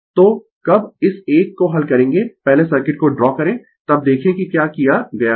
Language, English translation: Hindi, So, when you will solve this one first you draw the circuit then you look ah what has been done